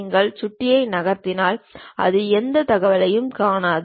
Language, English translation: Tamil, It draws a line if you are moving mouse you would not see any more information